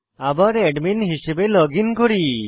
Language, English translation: Bengali, Let us login again as the admin